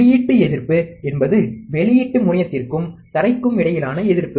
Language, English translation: Tamil, Output resistance, is the resistance between the output terminal and ground